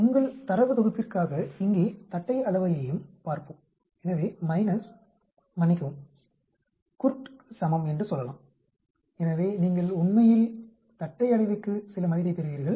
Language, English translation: Tamil, Let us look at the kurtosis also here for your data set, so we can say minus, sorry, equal to KURT so you get some value for Kurtosis actually